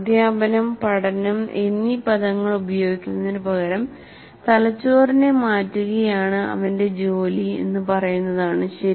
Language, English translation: Malayalam, Instead of using the word teaching and learning, say his job is to change the brain